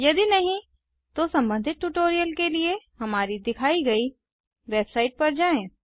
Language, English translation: Hindi, If not, for relevant tutorial please visit our website which is as shown